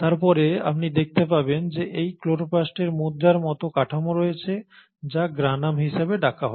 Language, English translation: Bengali, And then you find that this chloroplast has this arrangement of coin like structures which are called as the Granum